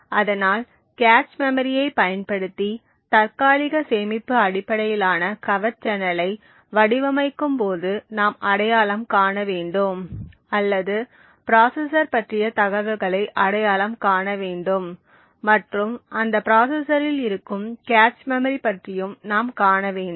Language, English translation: Tamil, So while setting up a covert channel using the cache memory the 1st thing to identify when we are starting to design a cache based covert channel or is to identify information about the processor and also about the cache memory present in that processor